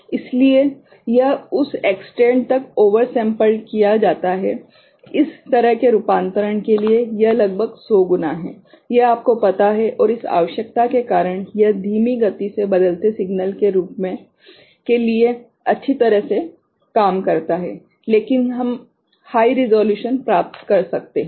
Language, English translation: Hindi, So, it is over sampled to the extent of you know, almost 100 times right for this kind of conversion and because of which this requirement, it works well for slow changing signal, but we can get high resolution ok